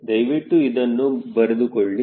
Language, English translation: Kannada, please note down this thing